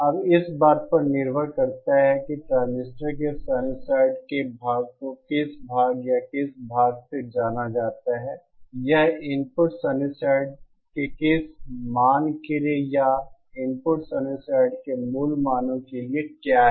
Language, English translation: Hindi, Now, depending on how, what angle or you know for what angle of a sinusoid the transistor is conducting, that is for what value of the input sinusoid or for what face values of the input sinusoid